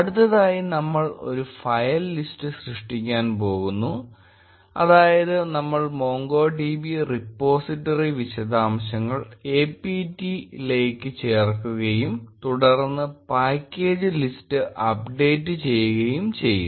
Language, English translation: Malayalam, Next we are going to create a file list, that is, we will add the MongoDB repository details to the apt and then, update the package list